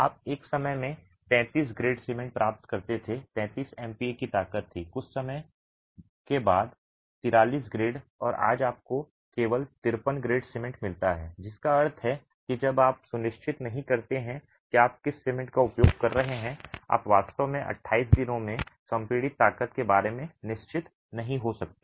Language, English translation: Hindi, You used to get 33 grade cement at one point of time, 33 MPA being the strength, 43 grade after some time and today you get only 53 grade cement, which means unless you are sure what strength of cement you are going to be using, you really can't be sure about the compressive strength at 28 days